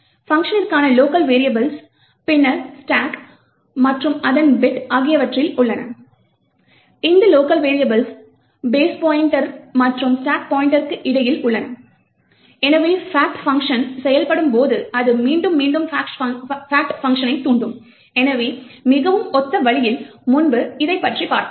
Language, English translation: Tamil, The locals for the fact function are then present on the stack and its bit, these locals are present between the base pointer and the stack pointer, so as the fact function executes it will recursively invoke the fact function, so in a very similar way as we have seen before